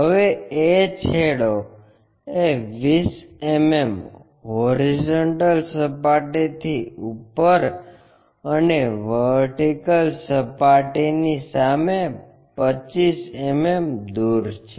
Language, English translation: Gujarati, Now, end a is 20 mm above horizontal plane and 25 mm in front of vertical plane